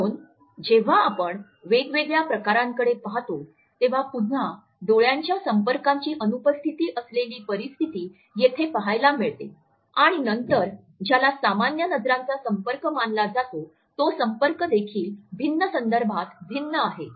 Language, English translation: Marathi, So, when we look at different types of case we have to look at the situation where there is an absolute absence of eye contact again which is shifty looking here and there then the gaze which is considered to be a normal eye contact and the normal eye contact is also different in different context